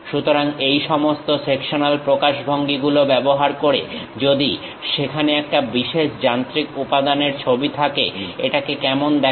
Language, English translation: Bengali, So, using all these sectional representation; if there is a drawing of typical machine element, how it looks like